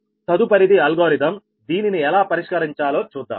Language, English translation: Telugu, next is that algorithm that how to solve this one, solve this problem